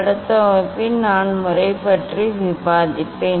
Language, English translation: Tamil, in next class I will discuss that is method